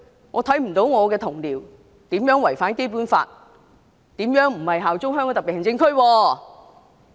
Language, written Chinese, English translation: Cantonese, 我看不到我的同僚如何違反《基本法》，如何不效忠香港特別行政區？, I fail to see how my colleague has violated the Basic Law and how he has failed to be loyal to the Hong Kong SAR